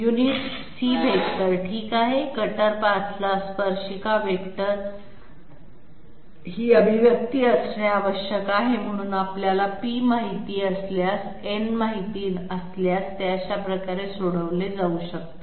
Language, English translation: Marathi, Unit C vector okay tangent vector to the cutter path must be having this expression that means it can be solved this way if we know p and if we know n